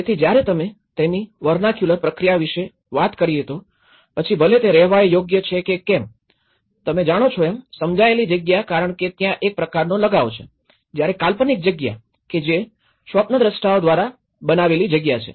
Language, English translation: Gujarati, So, you can talk about whether it is a vernacular process of it, whether it is a habitable process of how you know, perceived space because there is some kind of attachment to it whereas, the conceived space, it a space produced by the visionaries